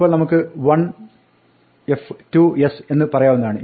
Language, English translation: Malayalam, Now we can say one f and two s